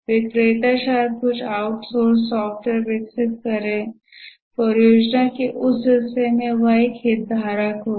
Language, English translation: Hindi, The vendor may be developed some outsourced software part of the project